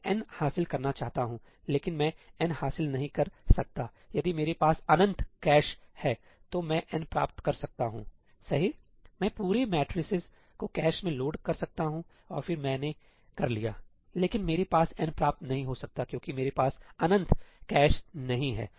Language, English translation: Hindi, I want to achieve ëní, but I cannot achieve ëní; if I have infinite cache I can achieve ëní, right I can load the entire matrices into the cache and then I will be done; but I cannot achieve ëní because I do not have infinite cache